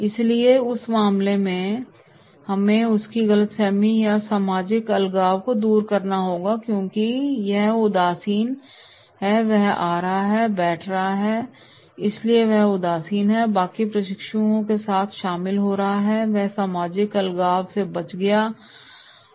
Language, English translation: Hindi, So therefore, in that case we have to remove his misconception or social isolation because he is disinterested, he is coming, sitting and going so therefore he is disinterested, getting involved with rest of the trainees and that will be avoid social isolation